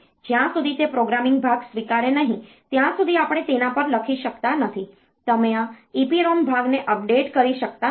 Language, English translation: Gujarati, We cannot write on to it until and unless it is accepting the programming part, you cannot update this EPROM part